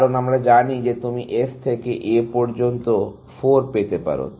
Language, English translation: Bengali, Because, we know that you can get from S to A is 4